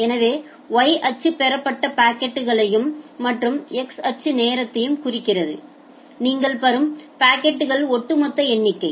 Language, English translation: Tamil, So, the Y axis is denoting packets that have been received and X axis which is denoting time and this is that cumulative number of packets that you are receiving with respect to time